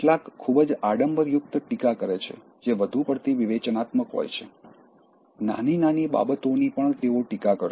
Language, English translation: Gujarati, Some are too nit picking, that is overly critical, even small things they will criticize